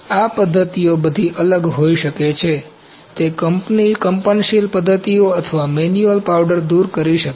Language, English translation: Gujarati, These methods can be all different, they can be vibratory methods or the manual powder removal